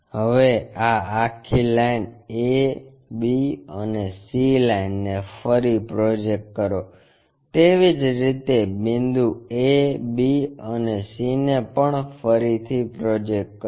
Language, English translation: Gujarati, Now, re project this entire a b lines and c line and similarly re project this entire c points a points and b points